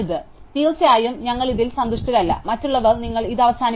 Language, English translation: Malayalam, So, of course we are not going to be happy with this, others you would have just stop with this